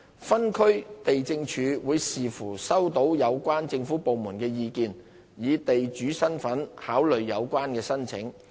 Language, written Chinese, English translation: Cantonese, 分區地政處會視乎收到有關政府部門的意見，以地主身份考慮有關申請。, DLOs will depending on the comments received from the relevant government departments consider in the capacity of the landlord